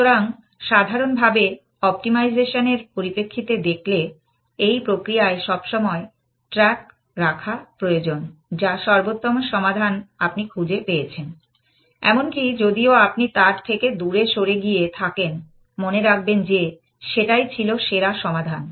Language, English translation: Bengali, So, looking at in general in optimization terms, that in this process always keep track of the best solution that you have found ever, even if you have moved away from it, remember that, that was the best solution